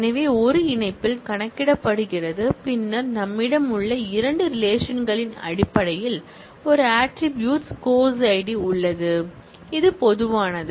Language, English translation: Tamil, So, in a join is computed, then in terms of the two relations that we have, there is an attribute course id, which is common